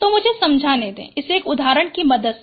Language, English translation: Hindi, So, let me explain it with respect to an example